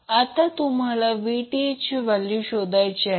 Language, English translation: Marathi, Now, you need to find the value of Vth